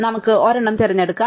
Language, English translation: Malayalam, We could pick either one